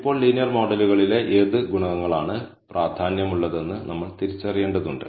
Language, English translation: Malayalam, Now, we need to identify which coefficients in the linear model are significant